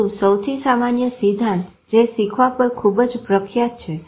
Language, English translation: Gujarati, But the commonest theory which is most popular is about learning